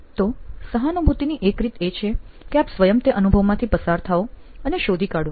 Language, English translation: Gujarati, So, one way of empathy could be you yourself going through that experience and figuring out, oh